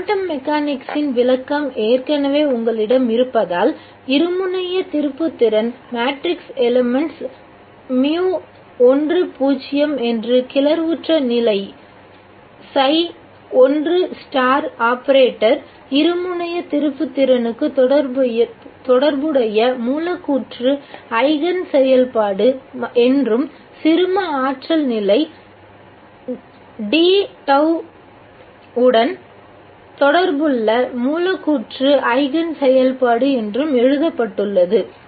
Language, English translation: Tamil, Since you already have had a description of quantum mechanics, the dipole moment matrix element mu 1 0 is written as the molecular eigen function corresponding to the excited state, si 1 star, the operated dipole moment and the molecular eigen function corresponding to the ground stain d tau